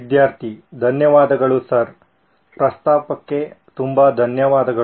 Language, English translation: Kannada, Thank you sir, thank you so much for the offer